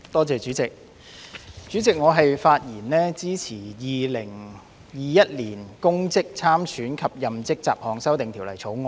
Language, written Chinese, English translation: Cantonese, 主席，我發言支持《2021年公職條例草案》。, President I speak in support of the Public Offices Bill 2021 the Bill